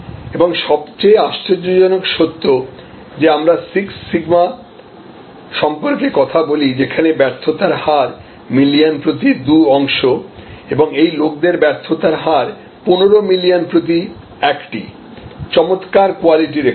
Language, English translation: Bengali, And the most amazing fact that we talk about six sigma, two parts in a million sort of failure rate and this people have one in 15 million failure rate, fantastic quality record